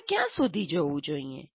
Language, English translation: Gujarati, How far should I go